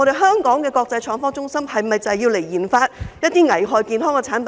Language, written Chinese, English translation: Cantonese, 香港的國際創科中心是否用以研發一些危害健康的產品呢？, Should Hong Kongs status as an international IT hub be utilized to conduct RD on products that are hazardous to health?